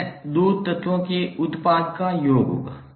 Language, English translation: Hindi, This would be the the sum of the product of 2 elements